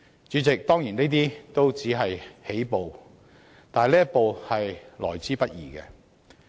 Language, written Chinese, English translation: Cantonese, 主席，當然，這些也只是起步，但這一步是得來不易的。, President it certainly is just the first step which is hard to come by